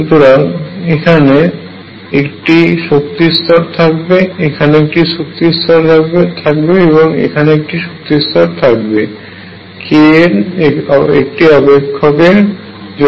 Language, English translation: Bengali, So, there is an energy level here, energy level here, energy level here for as a function of k